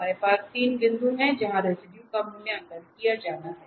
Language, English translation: Hindi, We have the three points where the residue has to be evaluated